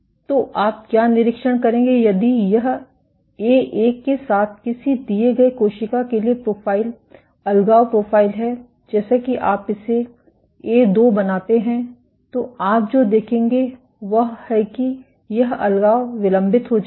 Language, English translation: Hindi, So, what you will observe is if this is the profile, deadhesion profile for a given cell with A1 as you make it A2, so what you will see is this deadhesion will be delayed